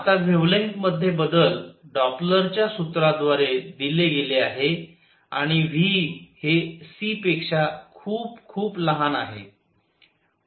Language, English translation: Marathi, Now change in the wavelength is given by Doppler’s formula and v is much much less than c